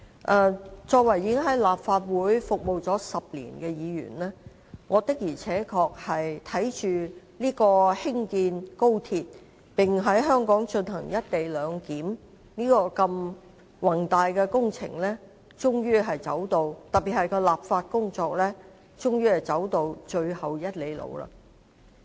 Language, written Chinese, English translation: Cantonese, 我身為在立法會已服務了10年的議員，我確實看着高鐵興建，並在香港進行"一地兩檢"的宏大工程，特別是立法工作終於走到最後1里路。, As a Member who has served the Legislative Council for 10 years I have witnessed the grand project of the construction of the Hong Kong Section of the Guangzhou - Shenzhen - Hong Kong Express Rail Link XRL and the proposed implementation of the co - location arrangement . In particular the legislative work has finally reached its last mile